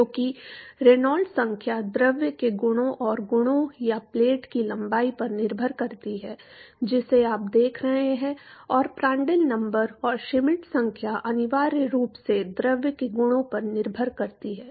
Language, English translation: Hindi, Because Reynolds number depends upon the properties of the fluid and the properties or the length of the plate that you looking at and Prandtl number and Schmidt number essentially properties of the fluid